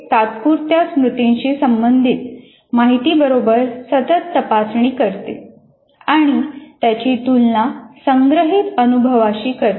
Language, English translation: Marathi, It constantly checks information related to working memory and compares it with the stored experiences